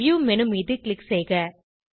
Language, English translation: Tamil, Click on the View menu